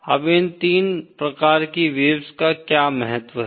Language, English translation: Hindi, Now what are the significances of these 3 types of waves